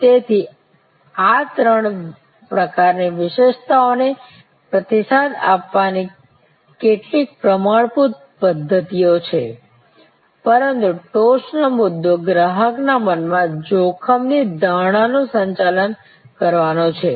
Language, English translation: Gujarati, So, there are some standard methods of responding to these three types of attributes, but the top point there is managing the risk perception in customer's mind